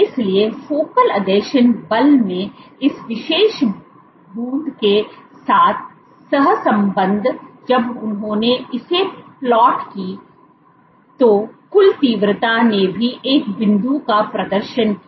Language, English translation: Hindi, So, correlated with this particular drop in focal adhesion force when they also plotted the focal adhesion the total intensity this also exhibited a drop